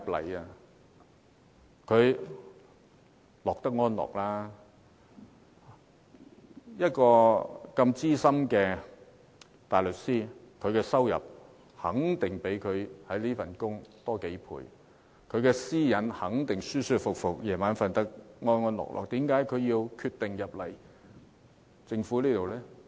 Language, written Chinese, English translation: Cantonese, 鄭若驊擔任資深大律師，收入肯定較她當司長的薪金多幾倍，私隱也會得到妥善保障，晚上睡得安安樂樂，她為何決定加入政府？, As a Senior Counsel Teresa CHENGs income must be many times higher than what she earns as the Secretary for Justice; her privacy will be properly safeguarded and she will have a sound sleep at night . Why did she decide to join the Government?